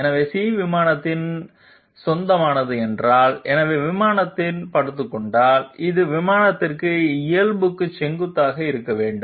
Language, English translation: Tamil, So if C is belonging to the plane, lying on the plane therefore, it has to be perpendicular to the normal to the plane as well